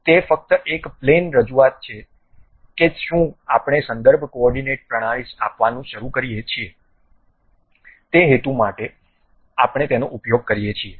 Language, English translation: Gujarati, It is just a plane representation whether we would like to begin it to give a reference coordinate system, for that purpose only we use